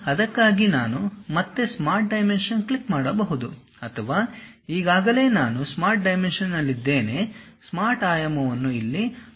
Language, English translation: Kannada, For that again I can click Smart Dimension or already I am on Smart Dimension; that is the reason the Smart Dimension is highlighted here